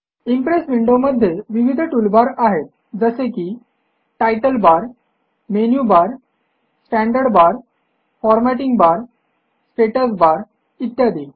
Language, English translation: Marathi, The Impress window has various tool bars like the title bar, the menu bar, the standard toolbar, the formatting bar and the status bar